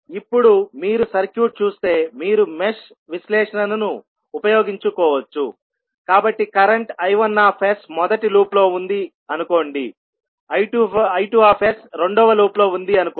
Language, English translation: Telugu, Now, if you see the circuit you can utilize the mesh analysis so let us say that the current I1s is in the first loop, I2s is in loop 2